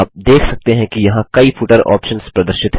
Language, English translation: Hindi, You can see several footer options are displayed here